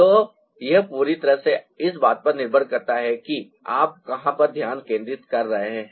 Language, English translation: Hindi, so it totally depends on where you are focusing on